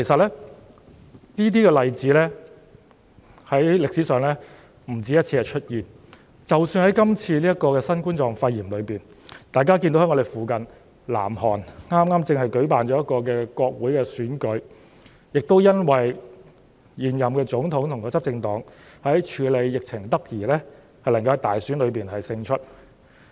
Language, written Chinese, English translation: Cantonese, 主席，這些例子在歷史上出現不止1次，即使在今次新冠狀病毒的疫情當中，大家看到我們鄰近的南韓剛舉行國會選舉，而現任總統和執政黨也是因為處理疫情得宜而能夠在大選中勝出。, President there are more than one example in history . Even in this novel coronavirus epidemic we can see that parliamentary elections had just been held in the neighbouring South Korea . Likewise the incumbent President and the ruling party won in the elections because they had handled the epidemic properly